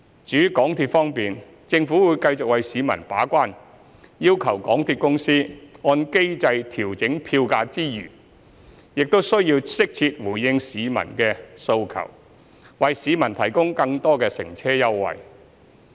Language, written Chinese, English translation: Cantonese, 至於港鐵方面，政府會繼續為市民把關，要求港鐵公司按機制調整票價之餘，亦適切回應市民的訴求，為市民提供更多乘車優惠。, As for the Mass Transit Railway MTR the Government will continue to act as a gatekeeper for the public interest by requiring the Mass Transit Railway Corporation Limited MTRCL to adjust its fare according to the mechanism while appropriately responding to public aspirations and offering more fare concessions for passengers